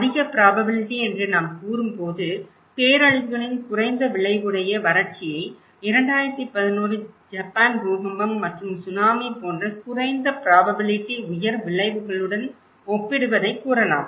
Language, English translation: Tamil, When we are saying high probability, low consequence of disasters like you can say the drought compared to low probability high consequences like the 2011 Japan earthquake and Tsunami